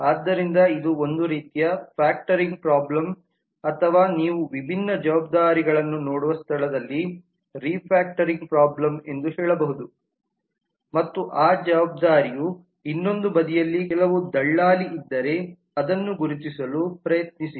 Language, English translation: Kannada, so this is kind of a factoring problem or you can say refactoring problem where you look into the different responsibilities and try to identify that if there is some agent on the other side of that responsibility